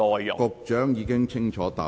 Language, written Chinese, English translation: Cantonese, 局長已經清楚回答。, The Secretary has given a clear reply